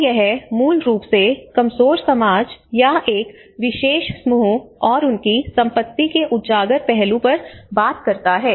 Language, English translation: Hindi, So this is talking basically on the exposed aspect of the vulnerable society or a particular group and their assets